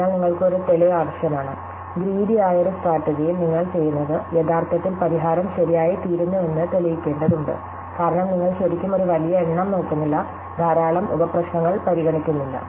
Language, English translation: Malayalam, So, you need a proof, so that is why in a greedy strategy, you need to prove that what you are doing actually makes the solution come out to be correct, because you are really not looking at a large number of, not considering a large number of sub problems